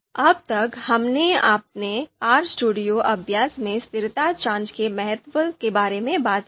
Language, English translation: Hindi, So we till now we have talked about the importance of consistency check in in in our RStudio exercise